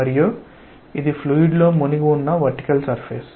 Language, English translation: Telugu, And this is the vertical surface immersed in a fluid